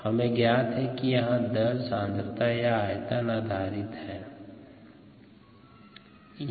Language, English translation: Hindi, you know, this is the on a concentration or a volumetric basis